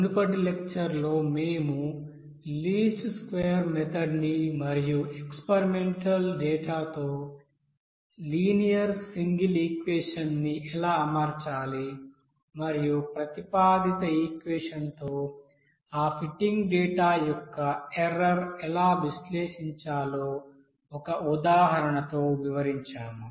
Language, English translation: Telugu, In the previous lecture we have described the least square method how to fit a linear single equation with experimental data and how to analyze the error of that fitting data with the you know that proposed equation we have discussed with example